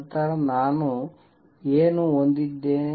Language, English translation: Kannada, Then what do I have